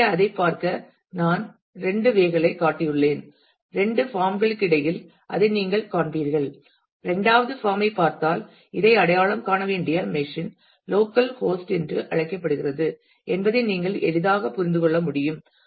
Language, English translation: Tamil, So, I have shown two ways to look at that and you will see that between the two forms; if you look at the second form you can easily understand that the machine to be identify this is called the local host